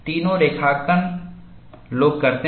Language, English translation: Hindi, All the three graphs, people do it